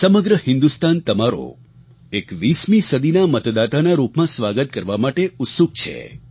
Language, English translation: Gujarati, The entire nation is eager to welcome you as voters of the 21st century